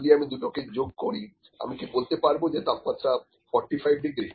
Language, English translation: Bengali, If I put them together, can I say the total temperature is 45 degree